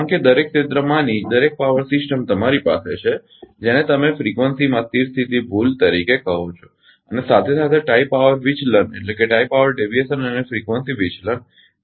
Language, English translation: Gujarati, Because because each power system in each area you have your what you call the steady state error in frequency and tie power, right deviation and frequency deviation